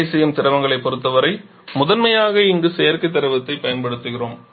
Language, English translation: Tamil, Working fluid primarily we are using synthetic fluid here